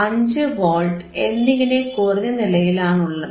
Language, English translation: Malayalam, It is not 5 Volts anymore, it is 4